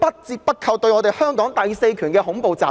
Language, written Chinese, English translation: Cantonese, 這些均是對香港第四權的恐怖襲擊。, All of these are terrorist attacks on the fourth estate in Hong Kong